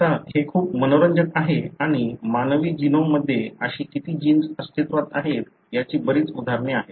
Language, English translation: Marathi, Now, this is very interesting and there are a large number of examples in the human genome as to how many such genes exist